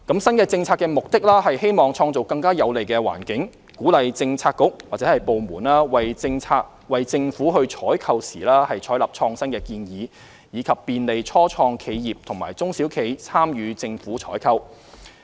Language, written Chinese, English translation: Cantonese, 新政策的目的，是希望創造更有利的環境，鼓勵政策局/部門為政府採購時採納創新建議，以及便利初創企業和中小企參與政府採購。, The purpose of the new policy is to create a more favourable environment to encourage Policy Bureauxdepartments to adopt innovative proposals for government procurement and facilitate the participation of start - ups and SMEs in government procurement